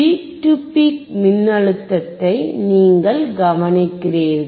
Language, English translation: Tamil, You have to see the peak to peak voltage, look at the peak to peak voltage